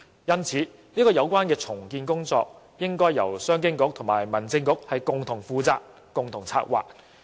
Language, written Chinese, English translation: Cantonese, 因此，有關的重建工作理應由商務及經濟發展局和民政事務局共同負責及策劃。, As such the redevelopment plan should be taken forward jointly by the Commerce and Economic Development Bureau as well as the Home Affairs Bureau